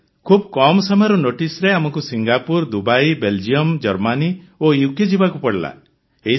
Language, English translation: Odia, Sir, for us on short notice to Singapore, Dubai, Belgium, Germany and UK